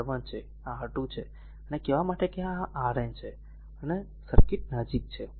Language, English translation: Gujarati, This is your R 1, this is your R 2 and up to say this is your RN, right and circuit is close